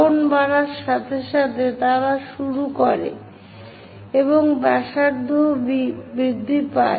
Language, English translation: Bengali, They begin as angle increases the radius also increases